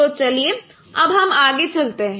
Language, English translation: Hindi, So let me stop here